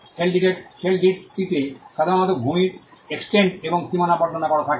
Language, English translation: Bengali, The schedule normally has the description of the land the extent of it and the boundaries of it